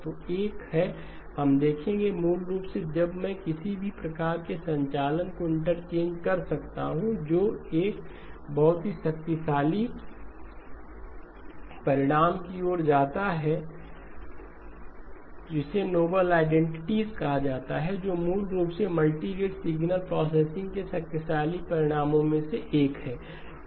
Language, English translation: Hindi, So one is we will look at, basically when can I do any sort of interchanging of the operations that leads to a very powerful result called the noble identities, which basically is one of the powerful results of multirate signal processing